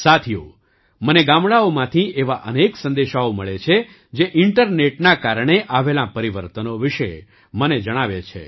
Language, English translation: Gujarati, Friends, I get many such messages from villages, which share with me the changes brought about by the internet